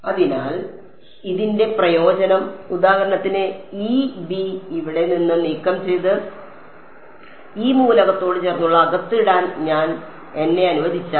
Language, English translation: Malayalam, So, the advantage of this is that for example, if I let me remove this b from here and put it on the inside adjacent to this element